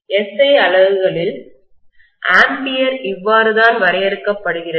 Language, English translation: Tamil, This is how in SI units’ ampere is defined